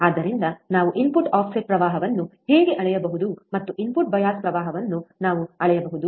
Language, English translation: Kannada, So, we this is how we can measure the input offset current, and we can measure the input bias current